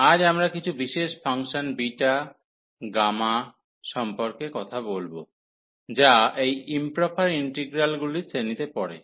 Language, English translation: Bengali, And today we will be talking about some special functions beta and gamma which fall into the class of these improper integrals